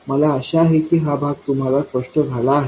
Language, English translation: Marathi, I hope this part is clear